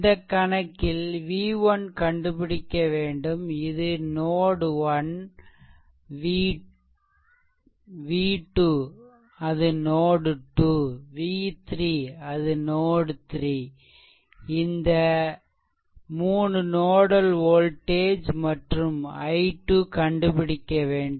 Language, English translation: Tamil, In this in this problem it has been asked, that ah just hold on it has been asked that you have to find out v 1 this is node 1 v 2 that is node 2 and then node 3 v 3 this 3 nodal voltages and then you have to find out this current i 2 right